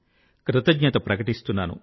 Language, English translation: Telugu, I also express my gratitude